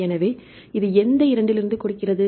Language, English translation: Tamil, So, this give from which two which